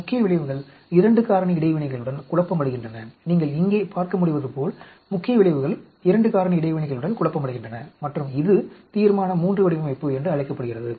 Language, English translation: Tamil, Main effects are confounding with 2 factor interactions, main effects are confounding with 2 factor interactions as you can see here and this is called a Resolution III design